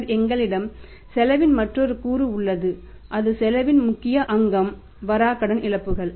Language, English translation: Tamil, And then we have another component of the cost and that and the main component of the cost is that your bad debt losses